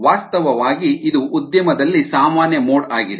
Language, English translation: Kannada, in fact that is the most common mode in an industry